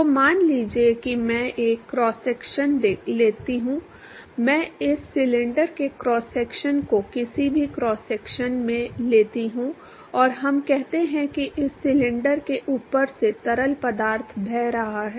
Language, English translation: Hindi, So, suppose I take a cross section I take a cross section of this cylinder any cross section and let us say that there is fluid which is flowing past this cylinder